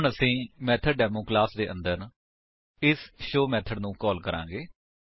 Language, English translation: Punjabi, Now we will call this show method, inside the method MethodDemo class